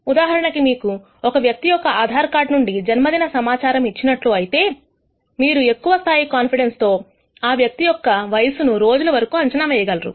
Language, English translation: Telugu, For example, if you are given the information about the date of birth from an Aadhaar card of a person you can predict with a high degree of confidence the age of the person up to let us say number of days